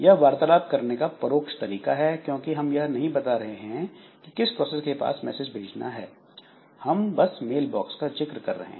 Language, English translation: Hindi, So, this is indirect way of communication because we are not telling directly to which process we are wishing to send that message but we are mentioning a mail box only